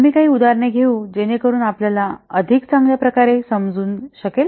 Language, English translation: Marathi, We will take a few examples so that you can better understand